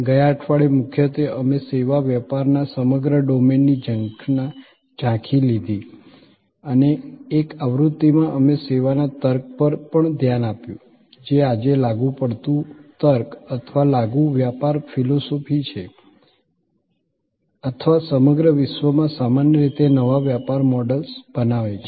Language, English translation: Gujarati, Last week, mainly we took an overview of the whole domain of services business and in an edition; we also looked at the service logic, which today is an applicable logic or an applicable business philosophy or creating new business models in general across the world